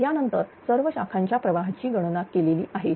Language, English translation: Marathi, After this all the branch currents are computed